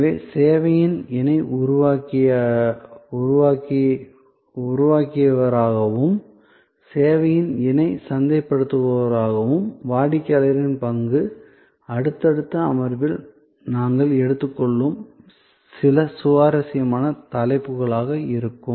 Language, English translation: Tamil, So, the role of the customer as you co creator of service and as a co marketer of the service will be some interesting topics that we will take up in the subsequence session